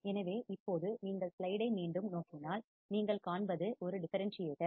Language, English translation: Tamil, So, now if you can come back on the on the slide, what you see is a differentiator